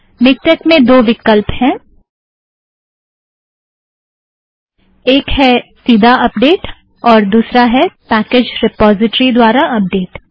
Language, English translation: Hindi, In MikTeX, there are two options, one is update directly the other is through browse packages